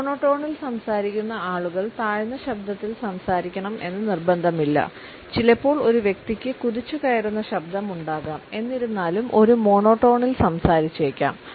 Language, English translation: Malayalam, It is not necessary that people who speak in a monotone speak in a low pitched voice, sometimes we may feel that the person may have a booming voice and still may end up speaking in a monotone